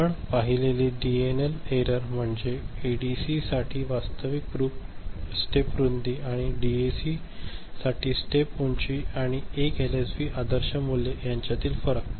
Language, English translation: Marathi, DNL error we have seen is the difference between actual step width for an ADC and step height for DAC and the ideal value for 1 LSB ok